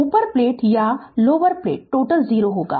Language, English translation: Hindi, Upper plate or lower plate, total will be 0 right